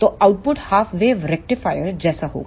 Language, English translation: Hindi, So, the output will be similar to the half wave rectifier